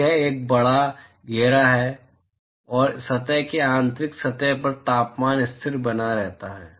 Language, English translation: Hindi, So, it is a large enclosure and the surface internal surface temperature is maintained constant